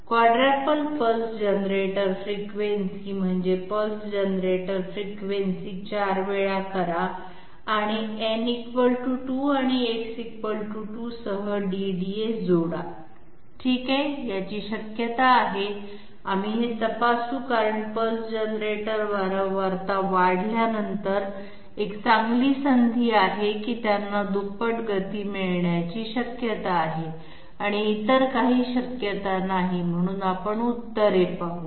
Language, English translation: Marathi, Quadruple pulse generator frequency that means make the pulse generator frequency 4 times and add a DDA with n = 2 and X = 2 okay, this has a possibility we will we will check this because pulse generator frequency once it is getting increased, there is a fair chance that they might be getting double the speed and none of the others, so let us see the answers